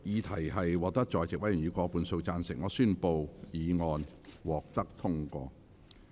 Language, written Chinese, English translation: Cantonese, 由於議題獲得在席委員以過半數贊成，他於是宣布議案獲得通過。, Since the question was agreed by a majority of the Members present he therefore declared that the motion was passed